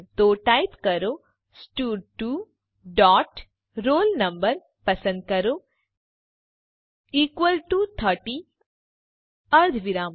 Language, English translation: Gujarati, So type stud2 dot selectroll no equal to 30 semicolon